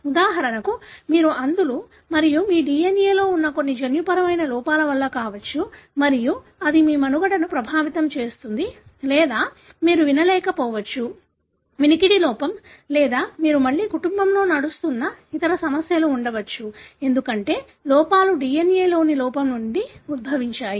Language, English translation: Telugu, For example you are blind and that could be because of some genetic defect that are there in your, DNA and that would affect your survival or you may not be able to hear, hearing impairment or you could have other problems which again run in the family, because the defects originates from a defect in the DNA